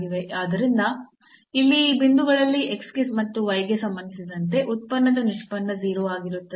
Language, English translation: Kannada, So, with respect to x and with respect to y at that point they should be 0